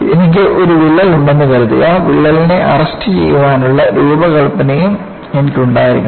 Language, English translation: Malayalam, Suppose I have a crack, I must also have the design to arrest the crack